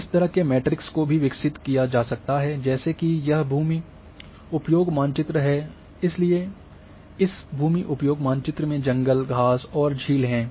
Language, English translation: Hindi, This kind of matrix can also be developed that this is land use map, so land use map is having forest,grass and lake